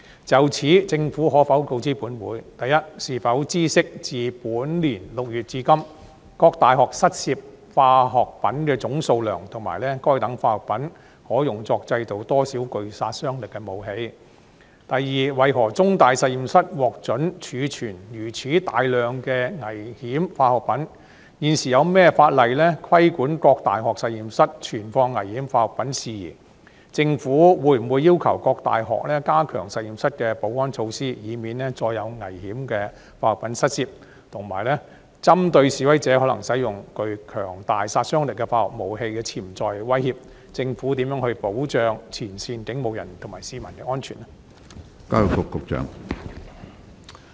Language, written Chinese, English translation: Cantonese, 就此，政府可否告知本會：一是否知悉自本年6月至今，各大學失竊化學品的總數量，以及該等化學品可用作製造多少具殺傷力武器；二為何中大實驗室獲准儲存如此大量的危險化學品；現時有何法例規管各大學實驗室存放危險化學品事宜；政府會否要求各大學加強實驗室的保安措施，以免再有危險化學品失竊；及三針對示威者可能使用具強大殺傷力的化學武器的潛在威脅，政府如何保障前線警務人員及市民的安全？, In this connection will the Government inform this Council 1 whether it knows the total quantities of chemicals stolen from the various universities since June this year and the quantities of lethal weapons that may be made from such chemicals; 2 why CUHKs laboratories were allowed to store such large quantities of dangerous chemicals; of the legislation currently in place to regulate the storage of dangerous chemicals in various university laboratories; whether the Government will require the various universities to strengthen the security measures at their laboratories so as to prevent dangerous chemicals from being stolen again; and 3 in the light of the potential threats posed by demonstrators possible use of highly lethal chemical weapons how the Government safeguards the safety of frontline police officers and members of the public?